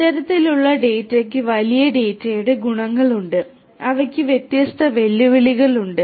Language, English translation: Malayalam, This kind of data has the properties of big data which have different different challenges of it is own